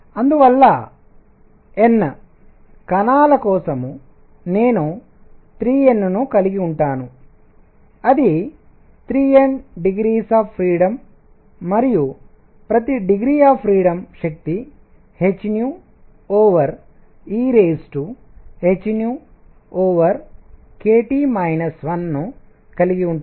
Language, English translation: Telugu, And therefore for N particles, I am going to have 3 N that is 3 N degrees of freedom and each degree of freedom has energy e raise to h nu over e raise to h nu over k T minus 1